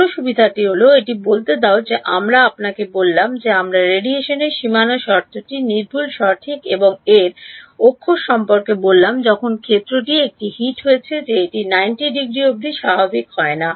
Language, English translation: Bengali, The other advantage is this let us say that you we have we have spoken about this radiation boundary condition being inexact correct and its inexact when the field that is hitting it is non normal not coming at 90 degrees then something reflects back correct